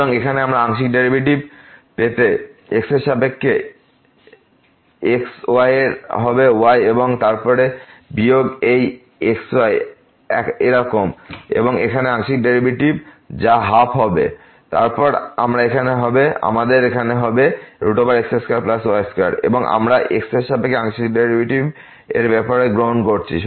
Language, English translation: Bengali, So, here we will get the partial derivative with respect to of will become and then, minus this as it is and the partial derivative here which will be 1 over 2 and then, here this is square root square plus y square and we are taking partial derivative with respect to